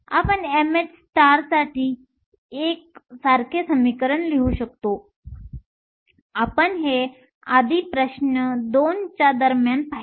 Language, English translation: Marathi, We can write a similar equation for m h star; we saw that earlier during question 2